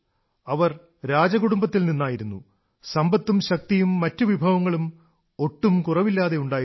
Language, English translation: Malayalam, She was from a royal family and had no dearth of wealth, power and other resources